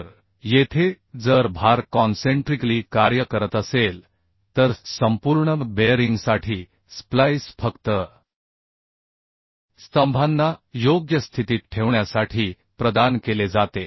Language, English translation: Marathi, So here if load is uhh concentrically acting then for complete bearing the splice is provided just to hold the columns in position right